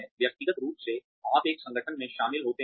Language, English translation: Hindi, Individually, you join an organization